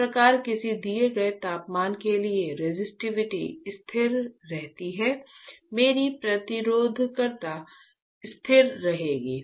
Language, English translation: Hindi, Thus my resistivity remains constant for a given temperature, my resistivity will remain constant, right